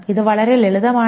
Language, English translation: Malayalam, This is very simple